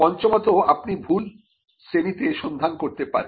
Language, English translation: Bengali, Fifthly, you could be searching in the wrong classes